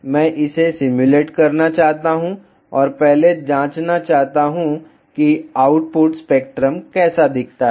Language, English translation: Hindi, I want to simulate this and want to first check, how does the output spectrum looks like